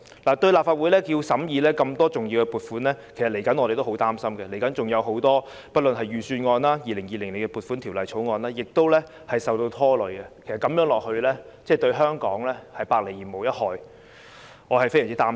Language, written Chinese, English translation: Cantonese, 對於立法會要審議這麼多重要撥款，我們其實也很擔心，財政預算案及《2020年撥款條例草案》均會受拖累，情況持續的話，對香港是百害而無一利，我對此非常擔心。, In fact we are very worried that the Budget and the Appropriation Bill 2020 will also be affected . If the situation persists it will not do any good to Hong Kong . I am very worried about this indeed